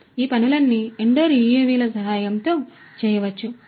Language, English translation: Telugu, So, all of these things can be done in with the help of indoor UAVs